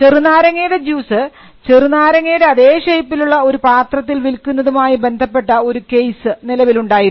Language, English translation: Malayalam, There was a case involving a lemon juice which was sold in a packaging that look like a lemon